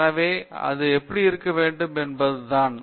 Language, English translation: Tamil, So, therefore, that is how it has to be